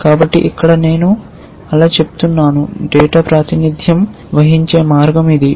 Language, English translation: Telugu, So, here I am saying that so this is the way data is represented